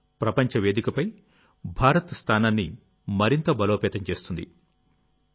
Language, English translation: Telugu, This will further strengthen India's stature on the global stage